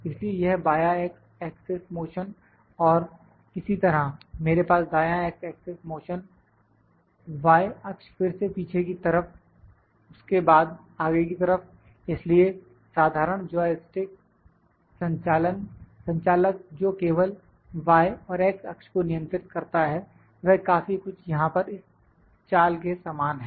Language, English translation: Hindi, So, this is left x motion x axis motion and similarly, I can have right x axis motion y axis again back; back side then forward side; so, the simple joystick, the operating that control only y and x axis are very similar to the movements there